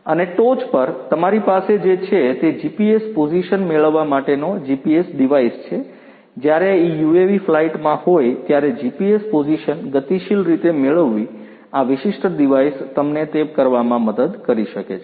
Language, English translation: Gujarati, And on the top what you have is the GPS device for getting the GPS position while this UAV is on flight, getting the GPS position dynamically this particular device can help you do that